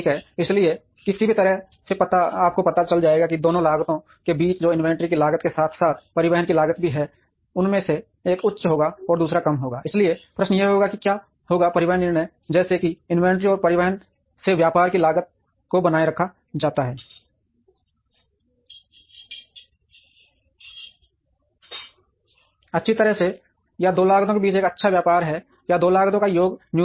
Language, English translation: Hindi, So, either way you will we will realize that between the two costs, which is cost of holding inventory as well as cost of transportation, one of them will be high and the other will be low and therefore, the question would be what would be the transportation decisions, such that the cost of trading off the inventory and transportation is maintained well, or there is a good tradeoff between the two costs, or the sum of the two costs would be minimum